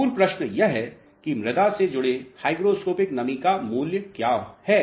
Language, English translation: Hindi, Basic question is that what is the value of hygroscopic moisture associated to the soils